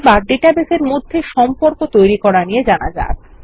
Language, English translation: Bengali, Let us now learn about defining relationships in the database